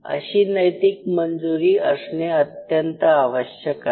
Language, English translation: Marathi, So, that ethical clearance is very essential